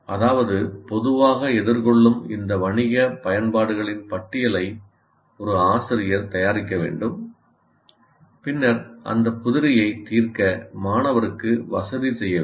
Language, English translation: Tamil, That means the teacher will have to make a list of this commonly encountered business applications and then make the student, rather facilitate the student to solve those problems